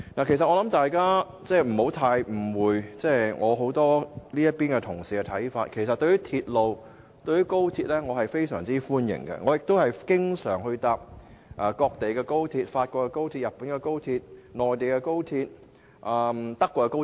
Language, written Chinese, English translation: Cantonese, 其實，大家不要誤會我這邊廂一些同事的看法，對於鐵路，我個人是相當歡迎的，亦經常乘搭各地的高鐵，包括法國高鐵、日本高鐵、內地高鐵和德國高鐵。, Actually please do not misunderstand the views held by Members on our side . Personally I welcome railways and travel frequently by high - speed trains in different places including those in France Japan the Mainland China and the Germany